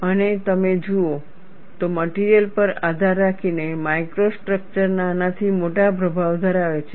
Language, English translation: Gujarati, And if you look at, the micro structure has small to large influence depending on the material